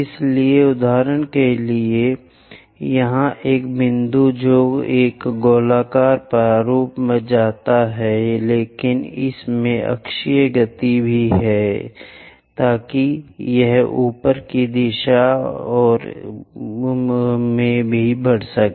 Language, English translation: Hindi, So, for example, here a point which goes in a circular format, but it has axial motion also, so that it rises upward direction and so on